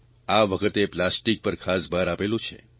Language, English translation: Gujarati, This time our emphasis must be on plastic